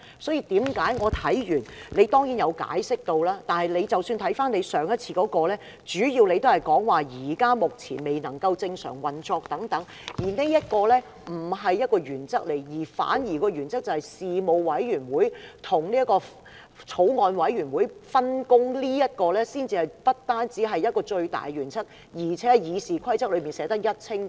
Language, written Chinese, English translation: Cantonese, 主席當然有解釋，但即使看回主席上次的決定，主要也是以議會目前未能正常運作等為理據，但這點並不是原則，反而原則是事務委員會和法案委員會的分工，這不僅是最大的原則，更是《議事規則》內寫得一清二楚的。, That is why after I have read the Presidents explanation of course the President has given his explanation but even if we look back at the Presidents previous decision his justification was that the legislature was unable to return to normal operation but that was not deemed a principle . The principle should be the division of responsibilities between a particular panel and a Bills Committee . This is not only the paramount principle; this is written down in the Rules of Procedure explicitly